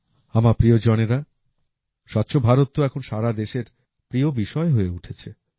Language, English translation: Bengali, My family members, 'Swachh Bharat' has now become a favorite topic of the entire country